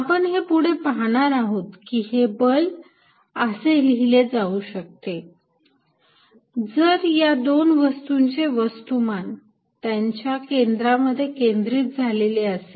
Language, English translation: Marathi, We will see later, that this force can be written as if the two masses are concentrated at their centers